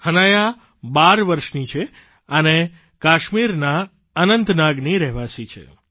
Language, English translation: Gujarati, Hanaya is 12 years old and lives in Anantnag, Kashmir